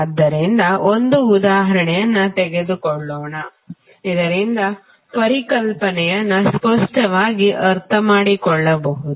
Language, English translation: Kannada, So, let us take an example so that you can understand the concept clearly